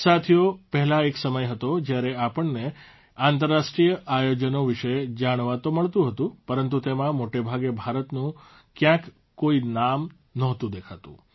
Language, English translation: Gujarati, Friends, earlier there used to be a time when we used to come to know about international events, but, often there was no mention of India in them